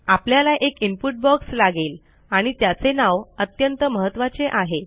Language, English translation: Marathi, Were going to need an input box and its name is very important